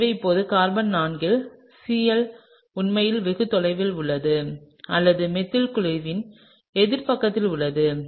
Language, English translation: Tamil, And so now, carbon 4 the Cl is actually quite far away or in the opposite side of the methyl group